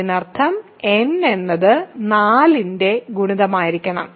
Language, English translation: Malayalam, So, n bar must be 0; that means, n must be a multiple of 4